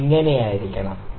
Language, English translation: Malayalam, It has to be like this